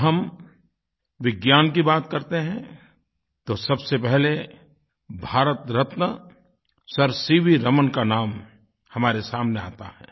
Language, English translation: Hindi, When we talk about Science, the first name that strikes us is that of Bharat Ratna Sir C